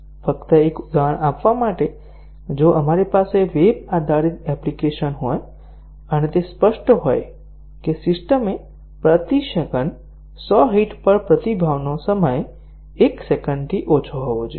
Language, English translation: Gujarati, Just to give an example, if we have a web based application and it is specified that the system should, at 100 hits per second, the response times should be less than 1 second